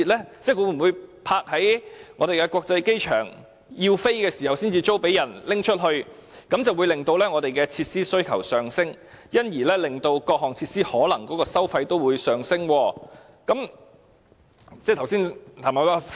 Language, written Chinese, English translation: Cantonese, 即那些飛機會否停泊在香港國際機場，在有需要時才租出，這樣便會令我們的設施需求上升，因而令各項設施的收費也可能上升。, That is to say will the aircraft park at the Hong Kong International Airport and be leased out when need arises . If so the demand for our facilities will be driven upward leading to possible increases in the fees of various facilities